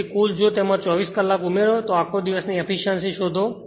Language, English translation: Gujarati, So, total if you addit 24 hours right and find all day efficiency